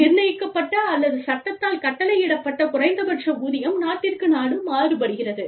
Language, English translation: Tamil, The minimum wage, that is governed by the, or, that is mandated by law, varies from, country to country